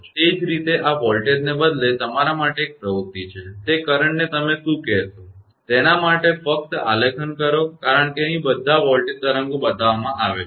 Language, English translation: Gujarati, Similarly this an exercise for you instead of voltage you just plot the your what to call that current right because here all voltage waves are shown